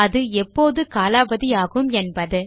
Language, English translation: Tamil, Its the time in which it expires